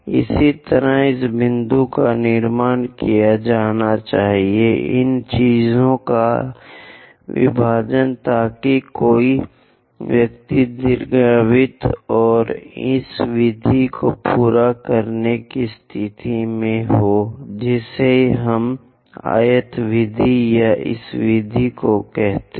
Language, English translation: Hindi, Similarly, this point has to be constructed by division of these things so that one will be in a position to complete the ellipse and this method what we call rectangle method or this oblong method